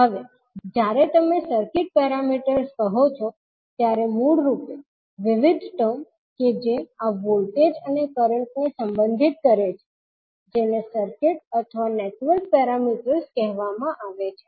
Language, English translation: Gujarati, Now, when you say circuit parameters basically the various terms that relate to these voltages and currents are called circuit or network parameters